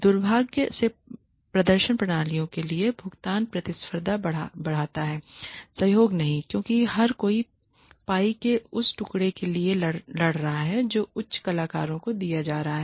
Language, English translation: Hindi, Unfortunately pay for performance systems increase competition not cooperation because everybody is fighting for that piece of the pie that is going to be given to high performers